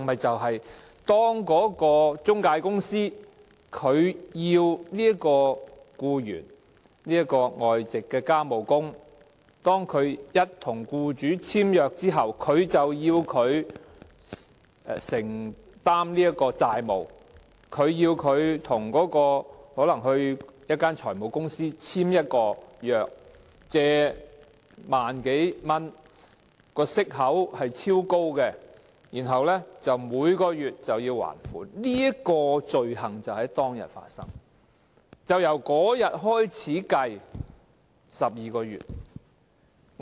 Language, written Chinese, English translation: Cantonese, 便是中介公司在外傭與僱主簽約後，要求他們承擔債務，可能是要他們到財務公司簽署借貸合約，以超高息率借貸1萬多元，然後須每月還款，這項罪行便是在當天發生，是由這天開始計算12個月。, The offence is committed when an employment agency asks a foreign domestic helper to undertake debts possibly through taking out a loan from a financial company after signing an employment contract . The offence is committed on the day when a foreign domestic helper is asked to take out a loan of more than 10,000 with extremely high interest rate repayable in monthly instalments